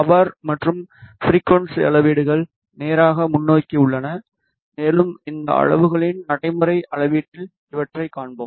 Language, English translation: Tamil, The power and frequency measurements are straight forward and we will see these in the practical measurement of these quantities